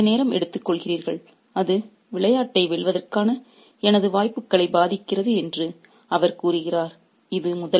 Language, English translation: Tamil, He says you are taking too much time and that's affecting my chances of winning the game